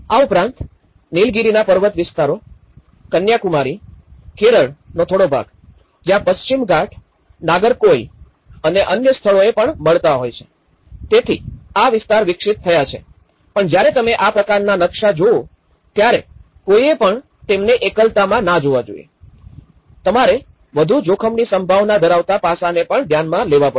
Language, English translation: Gujarati, Also, the hilly areas about the Nilgiris and a little bit of the Kanyakumari and the part of Kerala, where the Western Ghats are also meeting at some point near Nagercoil and other places so, these are developed so but one has to look at when you see these kind of maps, they should not look that in an isolated manner, you have to also consider the multi hazard prone aspect